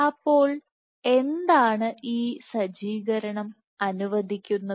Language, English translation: Malayalam, Now what is setup allows